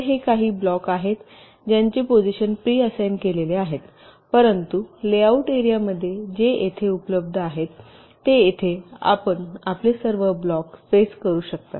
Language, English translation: Marathi, so these are some blocks whose positions are pre assigned, but within the layout layout area that is available to it in between here, within here, you can place all your blocks